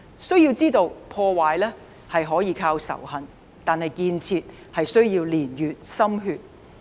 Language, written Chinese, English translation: Cantonese, 須知道，破壞可以靠仇恨，但建設卻須年月及心血。, One ought to understand that destruction can rely on hatred but construction takes ages and painstaking efforts